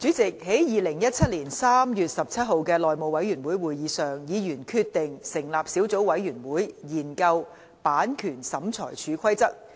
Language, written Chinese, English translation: Cantonese, 主席，在2017年3月17日的內務委員會會議上，議員決定成立小組委員會，研究《版權審裁處規則》。, President at the House Committee meeting on 17 March 2017 Members decided to form a subcommittee to scrutinize the Copyright Tribunal Rules